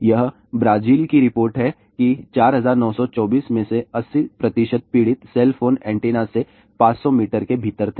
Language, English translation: Hindi, This is the report from Brazil that 80 percent of the victim out of 4924 were within 500 meters from cellphone antennas